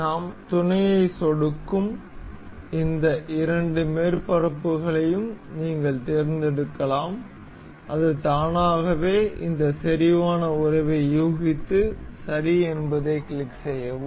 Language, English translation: Tamil, You can just select this two surfaces we will click on mate, and it automatically guesses this concentric relation and click ok